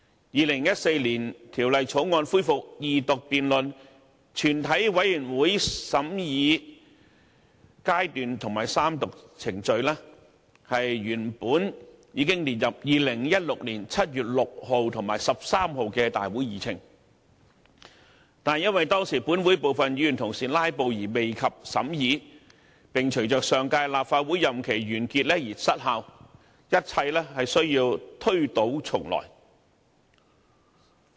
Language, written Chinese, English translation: Cantonese, 2014年《條例草案》恢復二讀辯論、全體委員會審議階段及三讀程序原本已列入2016年7月6日及13日的立法會會議議程，但因為當時本會部分議員"拉布"而未及審議，並隨着上屆立法會任期完結而失效，一切需要推倒重來。, The resumption of the Second Reading debate Committee stage and Third Reading of the Former Bill were put on the Agendas of the Council meetings of 6 and 13 July 2016 . Nevertheless owing to the filibustering of some Members the deliberation had not been completed and the Former Bill lapsed upon the prorogation of the previous term of the Legislative Council